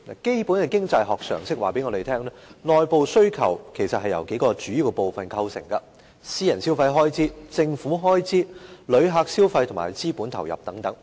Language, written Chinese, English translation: Cantonese, 基本的經濟學常識告訴我們，內部需求由數個主要部分構成，包括私人消費開支、政府開支、旅客消費和資本投入等。, Basic knowledge in economies tells us that internal demand consists of several major elements including private consumption expenditure government consumption expenditure visitor spending and capital input